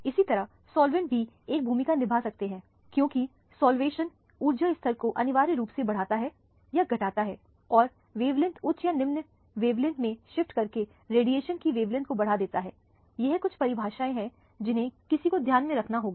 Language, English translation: Hindi, Similarly the solvents can also play a role because solvation essentially increases or decreases the energy levels and there by alters the wavelength of radiation by shifting the wavelength to higher or lower wavelength, these are some definitions that one has to bear in mind